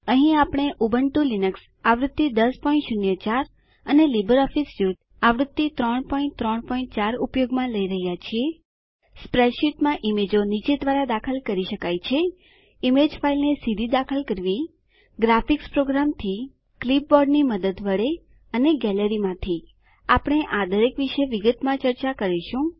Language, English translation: Gujarati, Here we are using, Ubuntu Linux version 10.04 and LibreOffice Suite version 3.3.4 Images can be added into a spreadsheet by, Inserting an image file directly From a graphics program, With the help of a clipboard or From the gallery